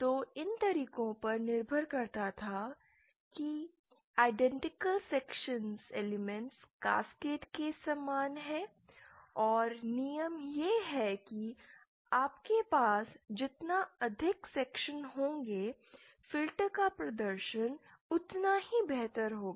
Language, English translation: Hindi, So what these methods relay on is having identical sections of similar elements in cascade and the rule is that more the number of sections you have, the better the performance of the filters will be